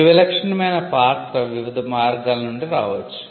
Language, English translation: Telugu, The distinctive character can come from different means